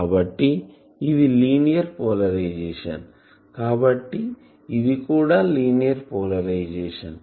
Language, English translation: Telugu, It is tracing a line; so, it is a linear polarisation